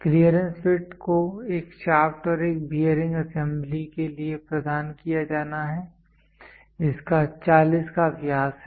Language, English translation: Hindi, The clearance fit has to be provided for a shaft and a bearing assembly, a shaft and a bearing assembly having a diameter of 40